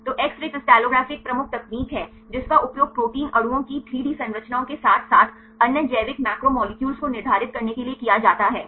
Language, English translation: Hindi, So, X ray crystallography is a major technique used to determine the 3D structures of protein molecules as well as other biological macromolecules